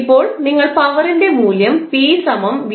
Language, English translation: Malayalam, How will you find out the value of power p